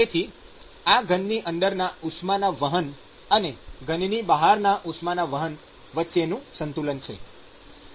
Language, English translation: Gujarati, So, this is a balance between flux of the heat transport just inside the solid and flux of heat transport just outside the solid